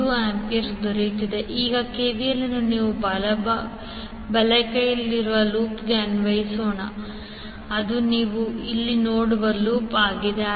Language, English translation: Kannada, Now, let us apply the KVL to the loop on the right hand side that is the loop which you see here